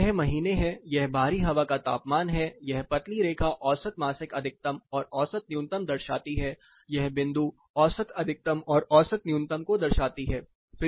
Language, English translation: Hindi, So, this particular thing is month here this is outdoor air temperature this thin line show the monthly maximum mean, maximum and mean minimum the dots represent the mean maximum and mean minimum